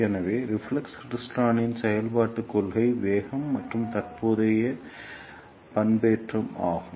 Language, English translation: Tamil, So, working principle of reflex klystron is velocity and current modulation